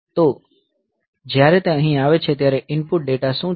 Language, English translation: Gujarati, So, what is the input data when it is coming here